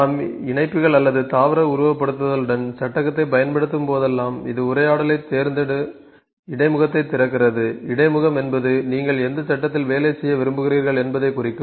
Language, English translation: Tamil, So, the frame, when we use frame with connectors, or plant simulation, it opens the dialogue select interface ok, when we open the frame it will open select interface